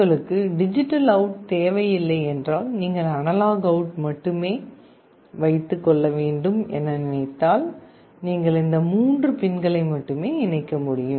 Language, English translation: Tamil, If you do not require the digital out you want only the analog out, then you can only connect these three pins